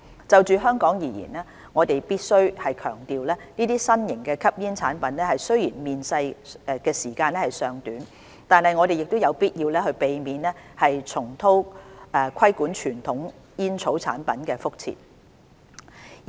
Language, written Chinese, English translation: Cantonese, 就香港而言，我們必須強調這些新型吸煙產品雖然面世時間尚短，但我們有必要避免重蹈規管傳統煙草產品的覆轍。, As far as Hong Kong is concerned we must stress that although these new smoking products have been put on the market just for a short period of time we must avoid what had happened regarding the regulation of conventional tobacco products